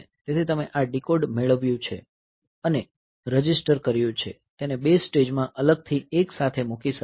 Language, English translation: Gujarati, So, you have got this decode and registered it may put together put separately into two stages